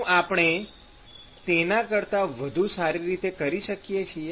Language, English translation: Gujarati, can we do it better than that